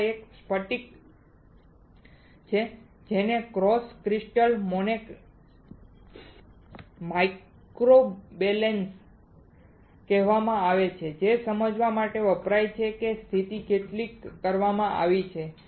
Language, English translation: Gujarati, There is a crystal over here which is called cross crystal microbalance used to understand how much the position has been done